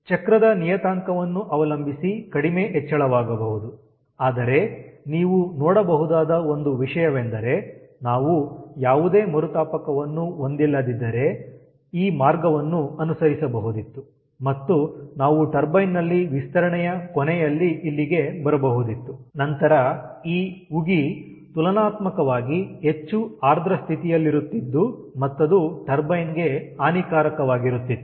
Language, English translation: Kannada, but one thing you can see: suppose we did not have any reheating, we could have followed this path and we could have come here at the end of, at the end of our expansion in the turbine and then this steam would have been in ah in relatively more wet condition, which is detrimental to the turbine